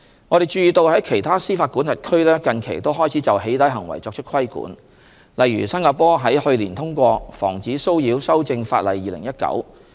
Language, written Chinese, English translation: Cantonese, 我們注意到在其他司法管轄區近期也開始就"起底"行為作出規管，例如新加坡於去年通過《防止騷擾法令2019》。, We note that some other jurisdictions have started to take actions to regulate doxxing recently . For example Singapore passed the Protection from Harassment Amendment Act 2019 last year